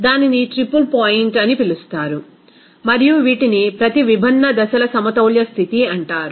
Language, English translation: Telugu, That would be called a triple point and these are called that equilibrium condition of each different phases